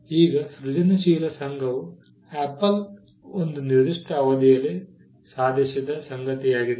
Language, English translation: Kannada, Now, this creative association is something which Apple achieved over a period of time